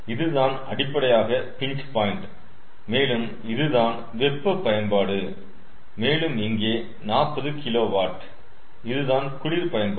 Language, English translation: Tamil, so this is basically the pinch point and ah here this is the hot utility and here forty kilowatt, this is the cold utility